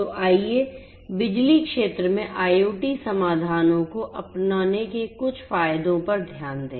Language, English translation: Hindi, So, let us look at some of the advantages of the adoption of IoT solutions in the power sector